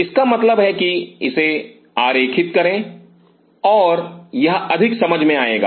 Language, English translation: Hindi, That mean draw it and that will make more sense